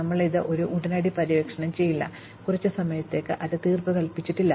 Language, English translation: Malayalam, Since, we may not explore it immediately, we may have to keep it pending for a while